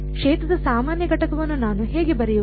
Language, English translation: Kannada, How do I write out the normal component of the field